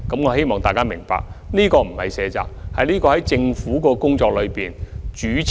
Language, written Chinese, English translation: Cantonese, 我希望大家明白，政府並非卸責，而是考慮到政府工作的主次問題。, I hope Members will understand that the Government is not shirking its responsibility in this regard but it also needs to take into account its work priorities